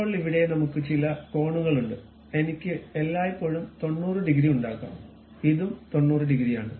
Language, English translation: Malayalam, Now, here we have certain angles I can always make 90 degrees and this one also 90 degrees